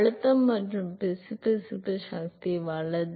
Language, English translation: Tamil, Pressure and viscous force right